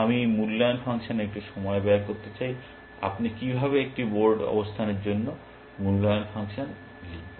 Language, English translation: Bengali, I want to just spend a little bit of time on this evaluation function, how do you write in evaluation function for a board position